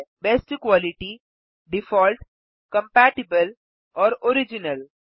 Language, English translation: Hindi, Best quality, default, compatible and original